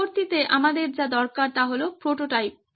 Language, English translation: Bengali, Next what we need are prototypes